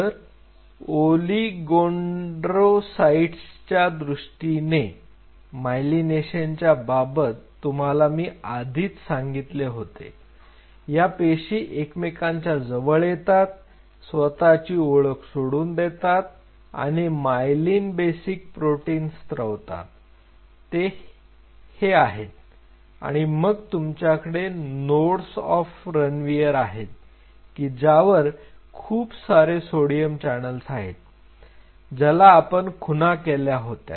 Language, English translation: Marathi, So, now in terms of the oligodendrocyte myelination, so here I told you the way the myelination is happening these cells are coming close and eventually losing their identity and secreting myelin basic protein which is this one and this is how the myelination coverage is happening and then you have the nodes of Ranvier where you have a significant population of sodium channels which are labeling